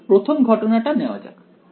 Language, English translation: Bengali, So, let us take the up case first